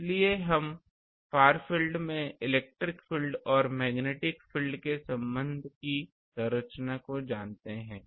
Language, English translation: Hindi, So, from we know the structure of electric field and magnetic field relation in the far field